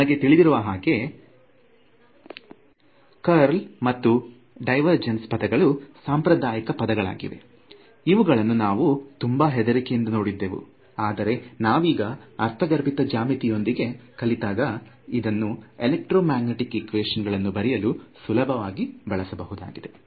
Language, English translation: Kannada, So, you know these are traditionally terms like the curl and the divergence are terms which in high school we were very afraid of, but you can see that they have very simple geometrical meanings, we get comfortable with it we can write our equation of electromagnetics in it very easily